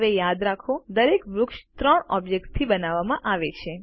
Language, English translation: Gujarati, Now remember, each tree is made up of three objects